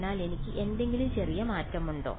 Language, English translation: Malayalam, So, is there a small change I could do